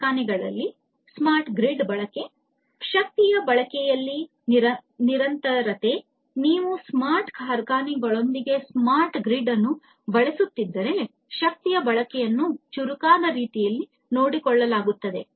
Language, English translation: Kannada, Use of smart grid in smart factories, persistence in energy consumption; if you are using smart grid with smart factories, you know, energy consumption will be you know will be taken care of in a smarter way